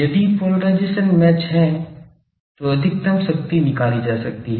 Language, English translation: Hindi, If polarisation is match then there will be maximum power can be extracted